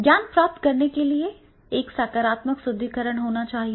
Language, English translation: Hindi, So to acquire the knowledge, there will be positive reinforcement